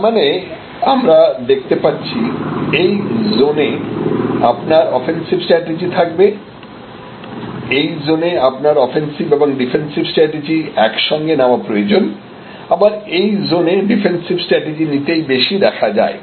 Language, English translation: Bengali, So, at a time, what we can see here that this is the zone offensive strategy this is the zone, where offensive and defensive often may come together this is the stage, where actually defensive strategy is more prevalent